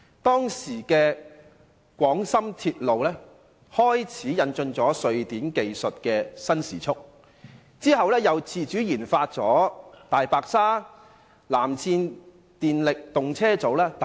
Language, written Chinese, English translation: Cantonese, 當時的廣深鐵路開始引進瑞典的新時速技術，其後又自主研發了"大白鯊"、"藍箭"電力動車組等。, It was at that point that the Guangzhou - Shenzhen Railway started to adopt the new high - speed technology developed by Sweden . Subsequently the State engaged in the autonomous innovation of electrical multiple unit EMU trains such as DDJ1 and DJJ1 Blue Arrow